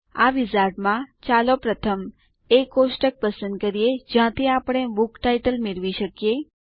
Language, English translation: Gujarati, In this wizard, let us first, choose the table from where we can get the book titles